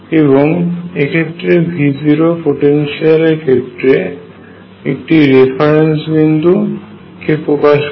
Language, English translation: Bengali, And therefore, what V 0 represents is just a reference point for the potential